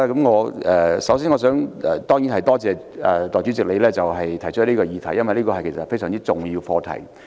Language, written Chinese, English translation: Cantonese, 我首先多謝你動議這項議案，因為這涉及一項非常重要的課題。, First I thank you for moving the motion because it involves a very significant issue